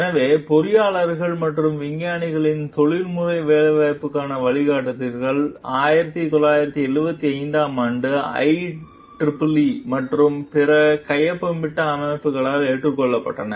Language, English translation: Tamil, So, the Guidelines to the Professional Employment of Engineers and Scientists, was adopted by I EE E and other signatory organizations in 1975